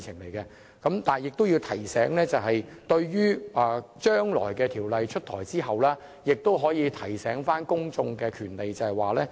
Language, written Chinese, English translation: Cantonese, 不過我亦要指出，將來在《條例草案》出台後，當局應提醒公眾他們擁有的權利。, Nonetheless I must also point out that when the Bill is introduced in future the authorities should remind the public of the rights to which they are entitled